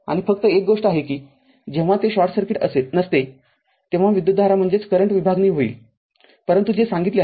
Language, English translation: Marathi, And only only thing is that when it is not short circuit right at the time current division will be there, but which I told